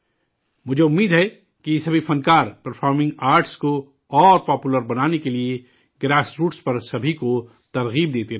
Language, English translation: Urdu, I hope that all these artists will continue to inspire everyone at the grassroots towards making performing arts more popular